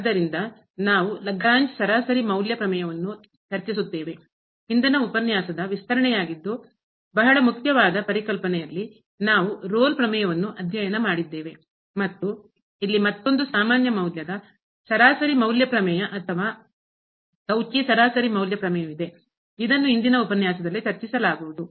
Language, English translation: Kannada, So, we will discuss the Lagrange mean value theorem; a very important concept which is the extension of the previous lecture where we have a studied Rolle’s theorem and there is another generalized a mean value theorem or the Cauchy mean value theorem which will be also discussed in today’s lecture